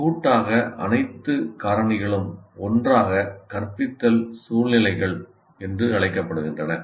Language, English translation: Tamil, So collectively all the factors together are called instructional situation